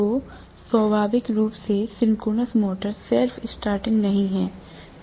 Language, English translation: Hindi, So inherently the synchronous motor is not self starting